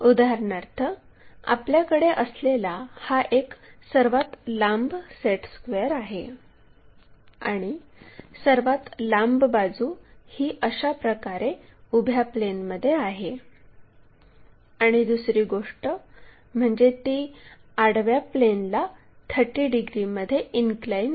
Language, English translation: Marathi, So, vertical plane if we are considering, if we are considering this one the longest side is in the vertical plane in this way and the second thing is, it is 30 degrees inclined to horizontal plane